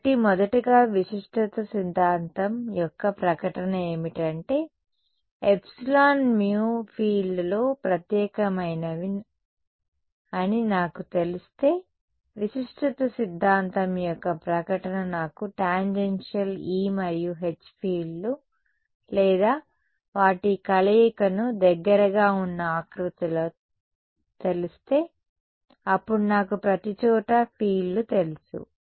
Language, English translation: Telugu, So, first of all statement of uniqueness theorem was not that if I know epsilon mu the fields are unique, statement of uniqueness theorem was if I know the tangential E and H fields or some combination thereof over a close contour then I know the fields everywhere and they are unique